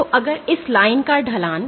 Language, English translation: Hindi, So, if the slope of this line